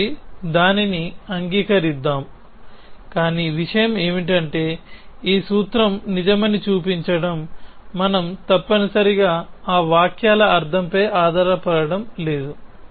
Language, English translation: Telugu, So, let us accept that, but the thing is to show that this formula is true, we are not going to rely on the meaning of those sentences essentially